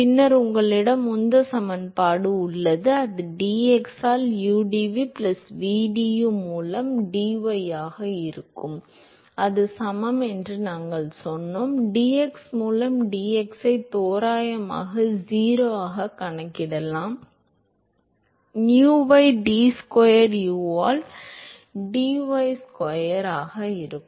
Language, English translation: Tamil, And then, you have momentum equation, that will be udu by dx plus vdu by dy that is equal to we said that dP by dx can be approximated to 0, will have nu into d square u by d y square ok